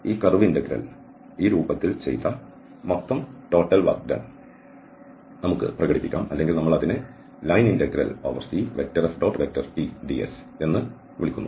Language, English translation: Malayalam, Well, so the total work done we can express in this form of this curve integral or we call line integral F